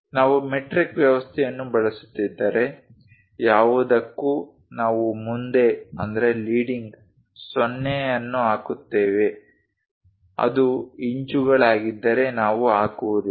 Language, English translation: Kannada, If we are using metric system ,for anything the dimension we put leading 0, if it is inches we do not put